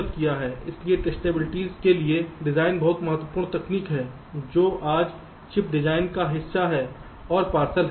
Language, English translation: Hindi, ok, so design for testabilities are very important technique which is part and partial of chip design today